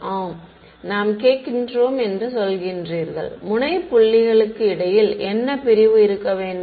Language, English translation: Tamil, Yeah you are saying you asking, what should be the separation between the node points